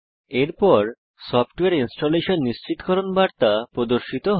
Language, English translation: Bengali, Next a Software Installation confirmation message appears